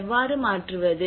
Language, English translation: Tamil, How to adapt